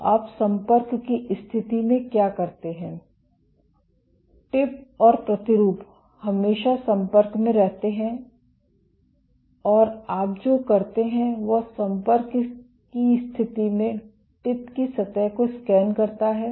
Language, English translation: Hindi, So, what you do in contact mode the tip and the sample are always in contact and what you do is in contact mode the tip scans the surface